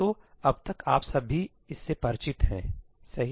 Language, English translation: Hindi, So, by now you are all familiar with this, right